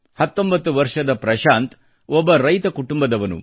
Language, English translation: Kannada, Prashant, 19, hails from an agrarian family